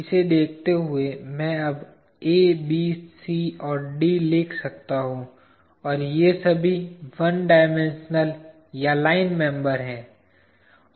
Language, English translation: Hindi, Looking at this, I can now write A, B, C, D and E and all these are one dimensional or line members